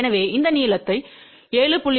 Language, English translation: Tamil, So, now, this 7